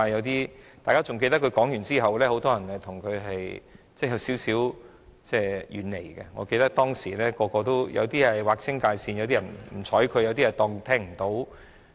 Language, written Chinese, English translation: Cantonese, 大家還記得他發表了該言論後，建制派中很多人也稍為遠離他，我記得當時有些人跟他劃清界線，有些人不理睬他。, We should still remember that many people in the pro - establishment camp distanced themselves from him after he made that remark . I remember some people disassociated with him and ignored him